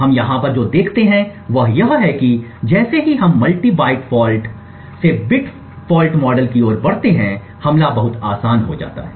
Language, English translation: Hindi, What we see over here is that as we move from the multi byte fault to a bit fault model the attack becomes much easy